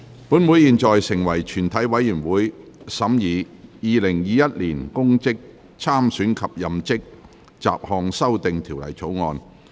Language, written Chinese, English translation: Cantonese, 本會現在成為全體委員會，審議《2021年公職條例草案》。, This Council now becomes committee of the whole Council to consider the Public Offices Bill 2021